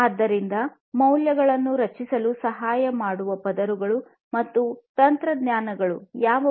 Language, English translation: Kannada, So, what are the layers and technologies that will help in creating values